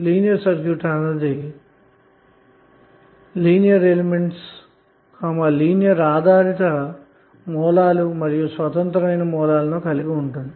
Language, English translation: Telugu, Linear circuit is the circuit which contains only linear elements linear depended sources and independent sources